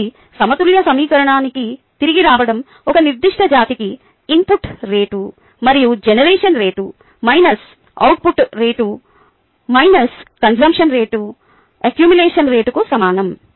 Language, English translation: Telugu, coming back to the balanced equation, the rate of input of a particular species may be, minus the rate of output, plus the rate of generation, minus the rate of consumption, equals the accumulation rate of that particular substance